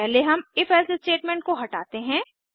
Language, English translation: Hindi, First let us remove the if else statement